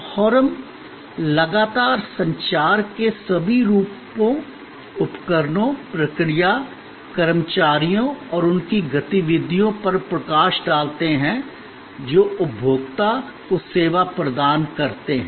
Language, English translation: Hindi, And we continuously highlight in all forms of communication, the equipment, the procedure, the employees and their activities that bring the service to the consumer